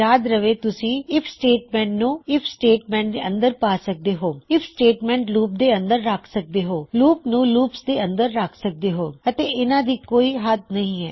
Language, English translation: Punjabi, Remember you can put IF statements inside IF statements IF statements inside loops loops inside loops and theres really no limit to what you do